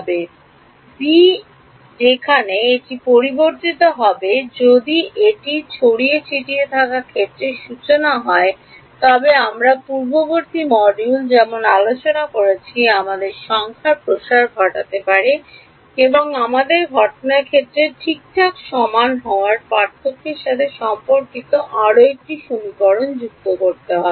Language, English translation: Bengali, The b is where it will change if it were a scattered field formulation then as we discussed in the previous module, we may need to expand the number of Us and add one more equation corresponding to the difference of the Us being equal to incident field ok